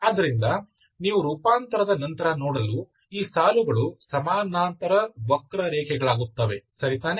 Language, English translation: Kannada, So this is how you try to see after the transformation, these lines become, these parallel becomes the parallel curves, okay